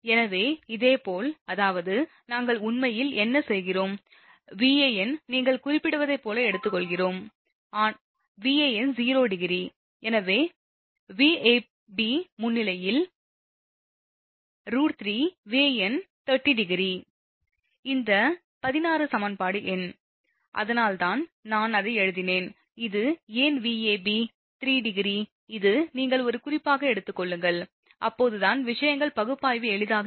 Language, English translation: Tamil, So, similarly; that means, what we are doing actually Van, we have you are taking as reference say, Van angle 0 degree therefore, Vab actually root 3 Van angle 30 degree, this 16 this 17 equation number, that is why your I have written that is why Vab root 3 where this is, you take as a reference, then only then things analysis will be easier right